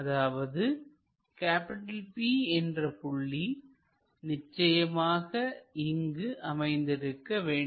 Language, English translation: Tamil, So, the other point Q must be somewhere here